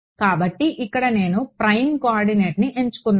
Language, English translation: Telugu, So, here I have chosen the prime coordinate